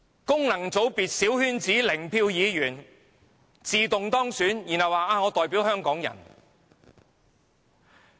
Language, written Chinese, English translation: Cantonese, 功能界別小圈子零票議員自動當選，然後說自己代表香港人。, Members elected ipso facto in the coterie election of function constituencies claimed to represent Hong Kong people